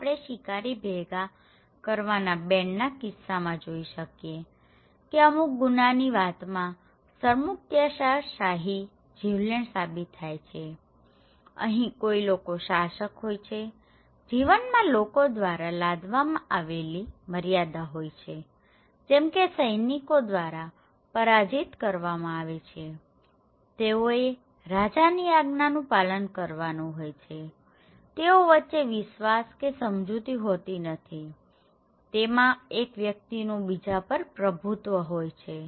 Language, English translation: Gujarati, Like we can see in case of hunter gathering bands or some crimes of communes and another one is the authoritarian or fatalists, here is that somebody there is a ruler, life is constrained by rule imposed by other like defeated soldiers okay, they have to follow the order of the king and there is no trust or cooperations, this is just dominating, one person is dominating others, okay